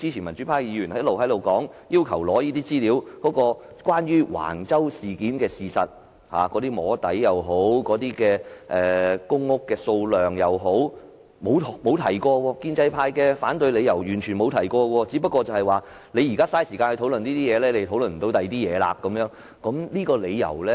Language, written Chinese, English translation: Cantonese, 民主派議員要求索取關於橫洲事件的資料，無論是"摸底"或公屋數量的資料，建制派完全沒有提及反對理由，只說我們現在花時間討論這問題，便不能討論其他問題。, When Members in the pan - democracy camp request the provision of information on Wang Chau development in respect of soft lobbying or the number of public housing units to be produced the pro - establishment camp does not have any reason for objection . Their reason for objection is that as we spend time to discuss this issue we cannot discuss other issues